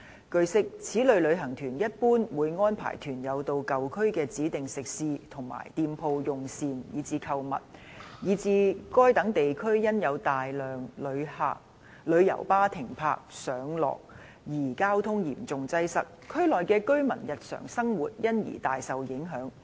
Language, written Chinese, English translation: Cantonese, 據悉，此類旅行團一般會安排團友到舊區的指定食肆和店鋪用膳及購物，以致該等地區因有大量旅遊巴停泊和上落客而交通嚴重擠塞，區內居民的日常生活因而大受影響。, It is learnt that such type of tour groups usually arrange their tour group members to have meals and shopping at designated restaurants and shops located in the old districts . As a result the traffic in such districts is seriously congested due to a large number of coaches parking and picking updropping off tourists there and the daily life of the residents in such districts has therefore been greatly affected